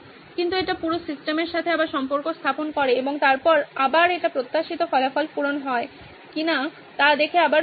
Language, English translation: Bengali, But it sort of ties back in to the whole system and then again it flows back into whether the desired results are met or not